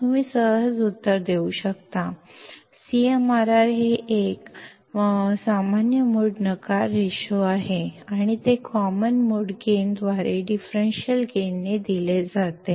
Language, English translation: Marathi, That you can you can answer very easily, the CMRR is a common mode rejection ration and it is given by differential gain by common mode gain